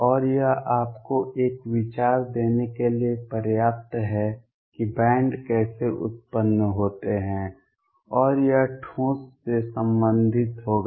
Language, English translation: Hindi, And that is sufficient to give you an idea how bands arise and this would be related to solids